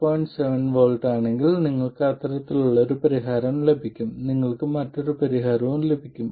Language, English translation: Malayalam, 7 volts, you would get a solution like that, and you will get yet another solution